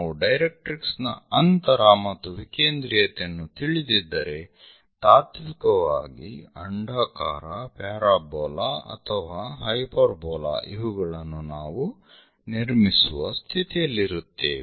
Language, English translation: Kannada, That means if we know the directrix distance and eccentricity, in principle, we will be in a position to construct it can be ellipse, parabola, hyperbola